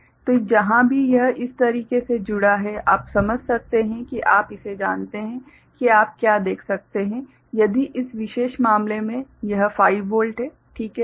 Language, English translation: Hindi, So, wherever this is connected like this you can understand that you know this what you can see if in this particular case right, this is 5 volt ok